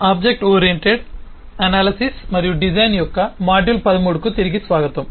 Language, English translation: Telugu, welcome to module 13 of object oriented analysis and design